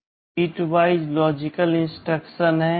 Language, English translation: Hindi, There are some bitwise logical instructions